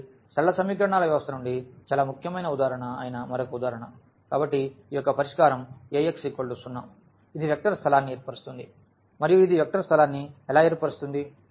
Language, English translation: Telugu, So, another example which is also a very important example from the system of linear equations; so, the solution of this Ax is equal to 0 this form a vector space and how it forms a vector space